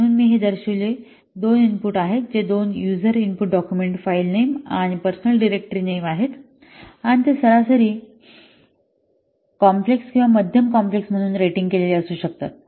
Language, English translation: Marathi, There are two user imports, document file name and personal dictionary name and they can be what, rated as average complex or medium complex